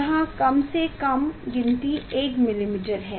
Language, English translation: Hindi, this least count is 1 millimeter